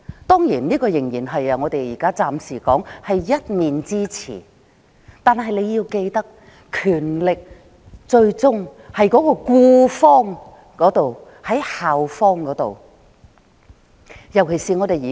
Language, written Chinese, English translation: Cantonese, 當然，這情境暫時只是我們一面之詞，但大家要記得權力最終在僱方，即校方。, Certainly such a scenario is merely regarded as our one - sided statement for the moment . However we have to bear in mind that the power rests ultimately in the hand of the employer ie . the school